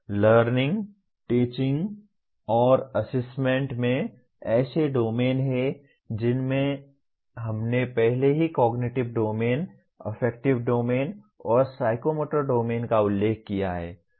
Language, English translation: Hindi, The Learning, Teaching and Assessment have domains including we have already mentioned cognitive Domain, Affective Domain, and Psychomotor Domain